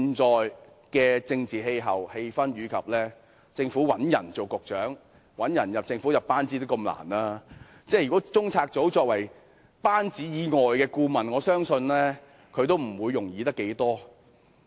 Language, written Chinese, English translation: Cantonese, 在現時的政治氣氛下，政府找人擔任局長或加入其班子亦甚困難，而中策組屬政府班子以外的顧問，我相信亦不會容易找到人選。, In the present political atmosphere it is also difficult for the Government to find someone to serve as Secretaries of Departments or join its governing team . Members of CPU are advisers outside the Governments team . I believe it will not be easy to find suitable candidates either